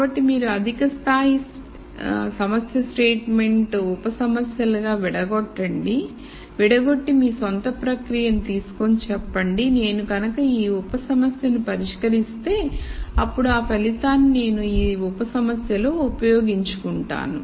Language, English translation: Telugu, So, you break down this high level problem statement into sub problems and you kind of draw a ow process saying if I solve this sub problem then this result I am going to use in this sub problem and so on